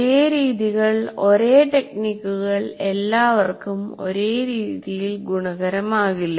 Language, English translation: Malayalam, So same methods, same techniques will not work the same way for all